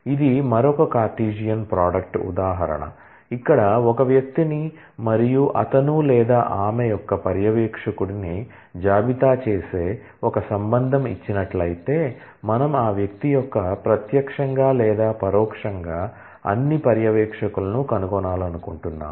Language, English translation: Telugu, Is another Cartesian product example, here given a relation which lists a person and his or her supervisor, we want to find out all supervisors direct or indirect of that person